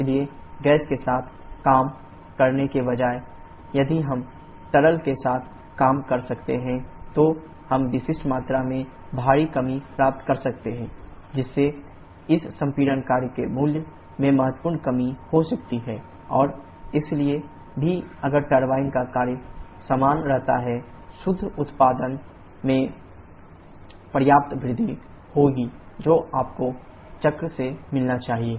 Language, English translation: Hindi, So instead of working with the gas, if we can work with the liquid, then we can get a drastic reduction in specific volume, thereby causing a significant reduction in the value of this compression work and hence even if the turbine work remains the same there will be a substantial increase in the net output that you should get from the cycle